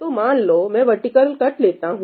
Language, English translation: Hindi, So, let me just take a vertical cut